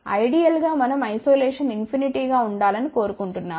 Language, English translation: Telugu, Ideally we would like isolation to be infinite ok